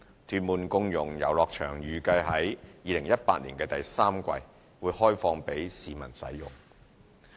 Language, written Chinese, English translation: Cantonese, 屯門共融遊樂場預計可於2018年第三季開放供市民使用。, The inclusive playground in Tuen Mun is expected to open for public use in the third quarter of 2018